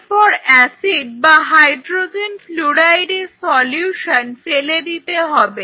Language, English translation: Bengali, Then drain the acid or the hydrogen fluoride solution very carefully very carefully